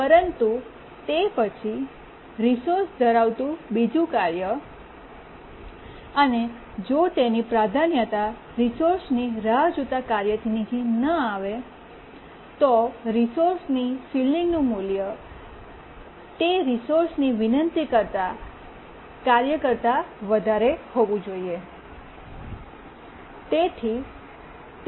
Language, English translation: Gujarati, But then the task holding the second resource, it priority does not drop below the task waiting for the resource, because the resource ceiling value must be greater than the task that is requesting the resource